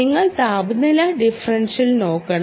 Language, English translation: Malayalam, so you must look at temperature differential